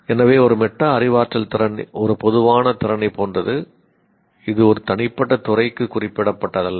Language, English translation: Tamil, So a metacognitive skill is a more like a generic skill that it is not specific to a particular discipline